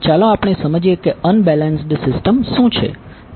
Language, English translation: Gujarati, First let us understand what is unbalanced system